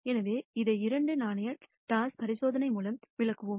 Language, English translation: Tamil, So, let us illustrate this by a two coin toss experiment